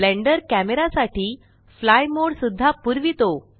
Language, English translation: Marathi, Blender also provides a fly mode for the camera